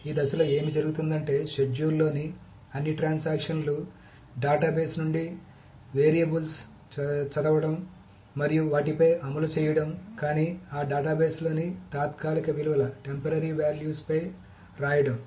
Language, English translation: Telugu, So, what happens in this phase is that all the transactions in the schedule, read the variables from the database and execute on them but write on the temporary values in those databases